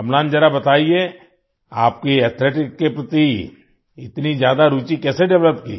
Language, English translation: Hindi, Amlan, tell me how you developed so much of interest in athletics